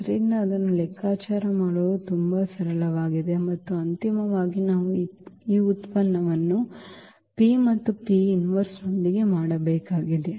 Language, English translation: Kannada, So, that is very simple to compute and then finally, we need to make this product with the P and the P inverse